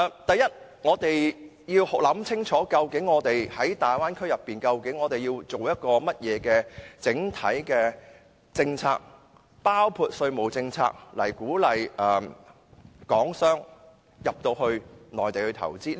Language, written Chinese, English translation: Cantonese, 第一，我們就大灣區要制訂甚麼政策，包括稅務政策，鼓勵港商到內地投資。, First we should consider what kind of policies including taxation policies should be formulated for the Bay Area to encourage Hong Kong businessmen to invest in the Mainland